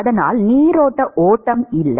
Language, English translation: Tamil, And so there is no streamline flow